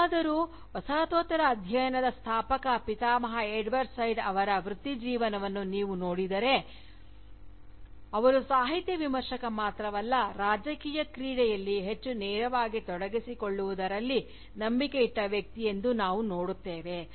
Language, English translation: Kannada, However, if you look at the career of Edward Said, the Founding Father of Postcolonial Studies, we see that, he was not only a Literary Critic, but also a person, who believed in engaging more directly, in Political action